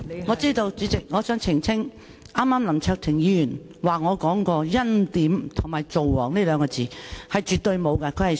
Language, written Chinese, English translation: Cantonese, 我知道，代理主席，我想澄清，剛才林卓廷議員引述我說過"欽點"和"造王"這兩個詞，絕對沒有其事。, I know Deputy President . I wish to clarify . Just now Mr LAM Cheuk - ting quoted me as saying the two terms preordaining and king - making which is absolutely not true